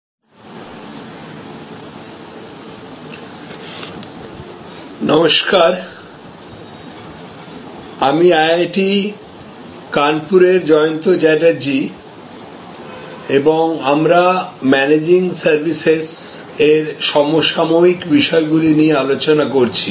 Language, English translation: Bengali, Hello, this is Jayanta Chatterjee from IIT, Kanpur and we are discussing Managing Services contemporary issues